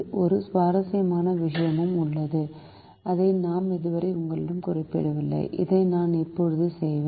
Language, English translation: Tamil, there is also an interesting thing which i have so far not mentioned to you, which i would do right now